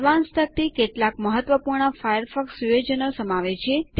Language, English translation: Gujarati, The Advanced Panel contains some important Firefox settings